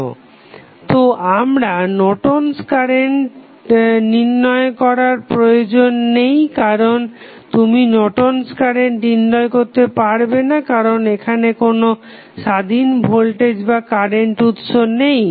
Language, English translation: Bengali, So, it means that you need not to find out the value of Norton's current because you cannot find out Norton's current as we see there is no any depend independent voltage or current source